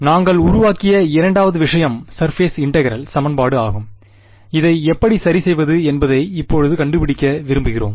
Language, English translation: Tamil, The second thing that we formulated was the surface integral equation and we want to find out now how do we solve this ok